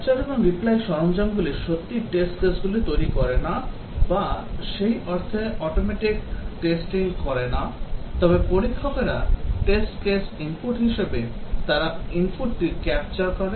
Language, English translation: Bengali, Capture and replay tools essentially do not really generate test cases or do automatic testing in that sense, but then as the tester inputs the test cases they capture the input